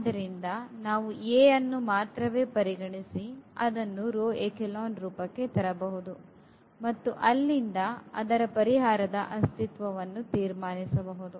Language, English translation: Kannada, So, we can just work with the A itself and get the row reduced this echelon form from there we can conclude the existence of the solution